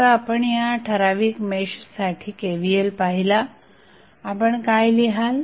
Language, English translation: Marathi, Now, if you write the KVL for this particular mesh, what you will write